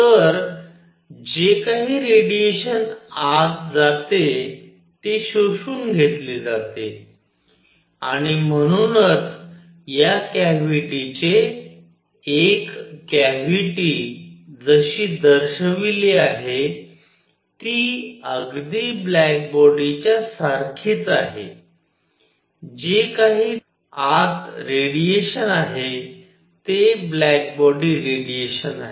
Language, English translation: Marathi, So, whatever radiation is going in, it gets absorbed and therefore, a cavity like this; a cavity like the one shown is very very close to a black body whatever radiation is inside it, it is black body radiation